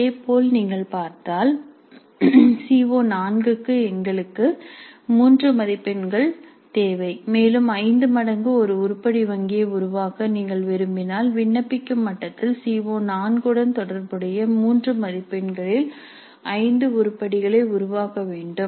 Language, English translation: Tamil, Similarly for CO4 if you see we need one item of three marks and if you wish to create an item bank which is five times that then we need to create five items of three marks each corresponding to CO4 at apply level